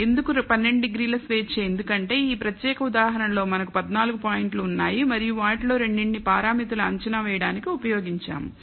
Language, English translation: Telugu, Why 12 degrees of freedom because, you have in this particular example we had fourteen points and we used two of the points for estimating the two parameters